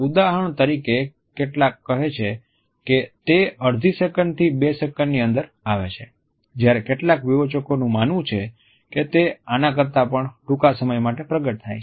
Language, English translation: Gujarati, For example, some say that it is between half a second to 2 seconds whereas, some critics think that it is even shorter than this